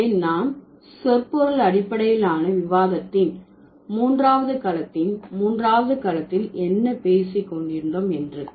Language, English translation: Tamil, So that's what, that this is what we are talking about in the third domain of, third domain of semantics based discussion